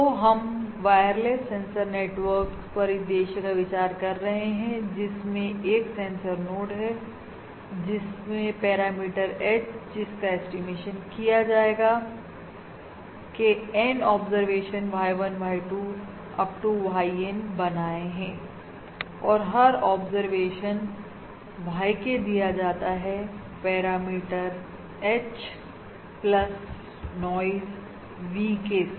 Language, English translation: Hindi, So we are considering our wireless sensor network scenario where there is a sensor node which has made N observations of Y1, Y2… Up to YN of the parameter H to be estimated and each observation, YK, is given as the parameter H plus the noise VK, That is the parameter being observed in additive white Gaussian noise